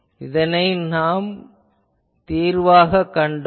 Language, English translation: Tamil, So, this we saw as the solution